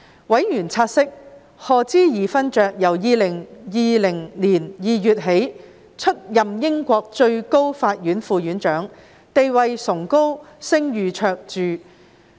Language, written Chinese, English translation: Cantonese, 委員察悉，賀知義勳爵由2020年2月起出任英國最高法院副院長，地位崇高、聲譽卓著。, Members noted that Lord HODGE has been appointed as Deputy President of the Supreme Court of the United Kingdom since February 2020 and that he is a judge of eminent standing and reputation